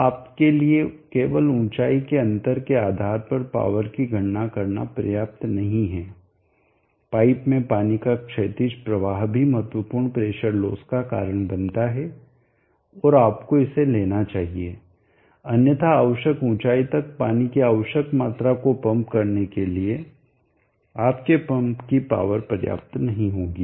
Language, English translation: Hindi, 05m is contributed only by friction loss, so it is not juts sufficient for you to calculate the power based on the only the height difference the horizontal flow of water in the pipe also cause a significant pressure of loss and you have to account for that otherwise you where pump the power will not be sufficient to pump the required amount of water the required time to the required height